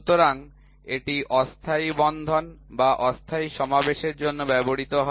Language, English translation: Bengali, So, this is used for temporary fastening or temporary assembly